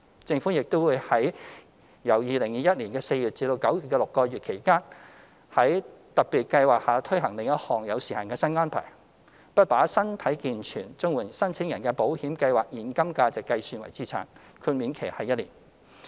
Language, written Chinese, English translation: Cantonese, 政府亦會由2021年4月至9月的6個月期間，在特別計劃下推行另一項有時限新安排，不把身體健全綜援申請人的保險計劃現金價值計算為資產，豁免期為1年。, The Government will also implement another time - limited new arrangement under the special scheme for six months from April to September 2021 . Specifically the cash value of insurance policies of able - bodied CSSA applicants will not be counted as assets during the grace period of one year